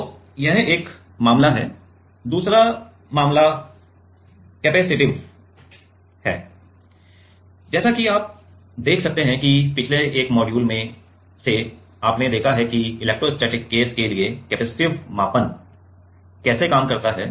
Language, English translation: Hindi, So, this is one case another case is capacitive; like as you can see that in the like one of the previous module, you have seen that capacitive how does capacitive measurement work for electrostatic case, right